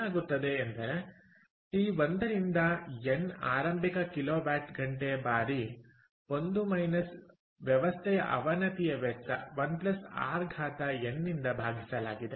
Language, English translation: Kannada, and what is going to the denominator against t one to n initial kilowatt hour times one, minus system degradation, divided by one plus r to the power n